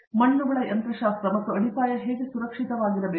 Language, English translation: Kannada, The mechanics of soils and how safe should the foundation be